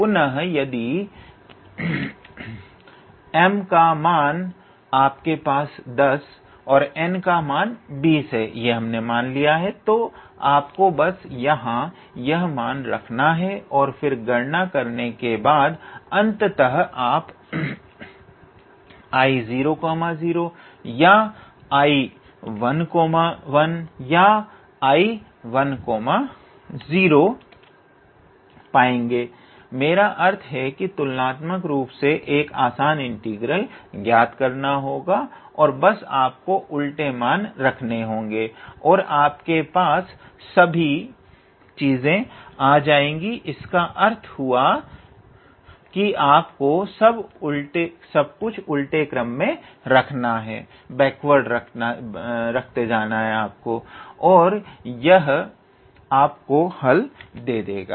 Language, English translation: Hindi, So, again instead of m if you have 10 and instead of n if you have 20, then you just have to put here and then do the calculation and ultimately you will be able to end up with either I 0 0 or I 1 1 or I 1 0, I mean a relatively simple integral to evaluate basically and just how to say reverse engineers, so that engineer all those things; that means, you just have to put everything backwards and then that will give you the answer